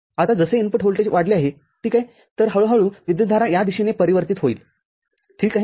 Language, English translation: Marathi, Now, as the input voltage is increased, ok, so, slowly, slowly, current might get diverted in this direction, ok